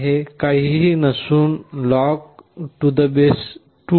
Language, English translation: Marathi, It is nothing, but log2 128